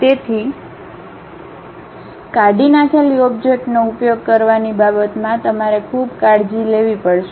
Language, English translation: Gujarati, So, you have to be careful in terms of using delete object